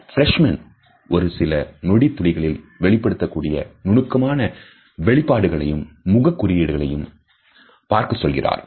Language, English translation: Tamil, Freshman also says to look out for micro expressions which are some facial cues that appear for only a split second